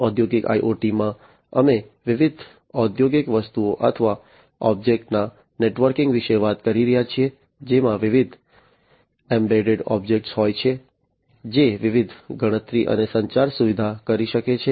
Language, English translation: Gujarati, So, in industrial IoT we are talking about networking of different industrial things or objects that have different embedded objects, which can perform different computation, communication facilities are also there